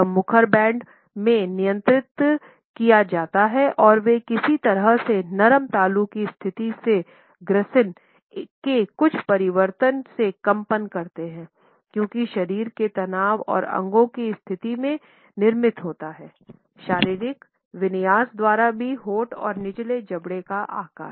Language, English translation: Hindi, It is controlled in the vocal bands and how do they vibrate by certain changes in the pharynges by the position of the soft palate, by the articulation as it is produced in terms of muscular tension and position of the organs, also by the anatomical configuration shaping of the lips and the lower jaw